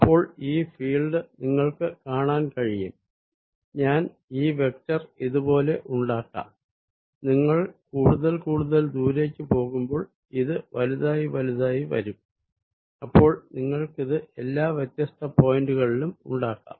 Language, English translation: Malayalam, so you can see that the field is i make this vector is like this, and as you go farther and farther out, it's going to be bigger and bigger, alright